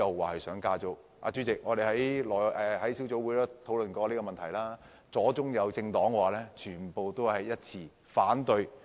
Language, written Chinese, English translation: Cantonese, 代理主席，我們在小組委員會討論這個問題時，無論左中右政黨均一致反對。, Deputy President when the issue was discussed at a subcommittee meeting all political parties be they leftists centrist or rightists opposed the proposal